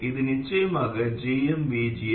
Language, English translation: Tamil, Now let's GMVGS